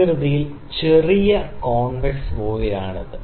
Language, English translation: Malayalam, The voile is little convex in the shape